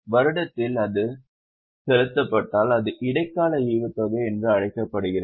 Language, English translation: Tamil, If it is paid during the year it is called as interim dividend